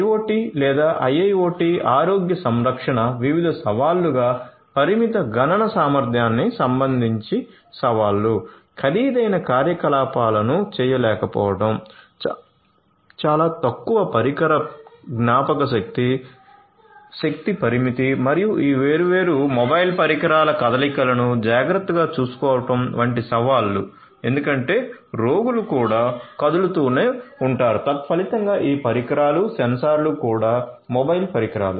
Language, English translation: Telugu, IoT or IIoT healthcare as different challenges; challenges with respect to limited computational capability, not being able to perform expensive operations, challenges with respect to having very less device memory, energy limitation and also taking care of the mobility of these different devices because the patients themselves are mobile